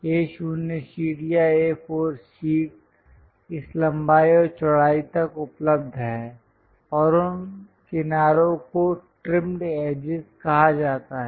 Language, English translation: Hindi, The A0 sheet or A4 sheet which is available up to this length and width those edges are called trimmed edges